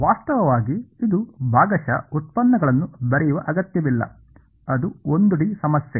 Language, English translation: Kannada, In fact, this is there is no need for me to write partial derivates it is 1 D problem